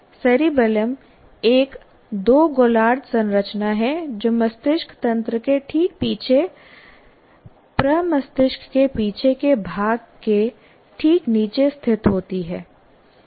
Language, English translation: Hindi, His two hemisphere structure located just below the rear part of the cerebrum right behind the brain stem